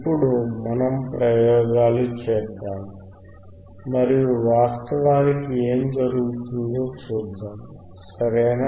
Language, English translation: Telugu, Now let us perform the experiments and let us see in reality what happens, right